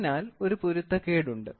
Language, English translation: Malayalam, So, there is the discrepancy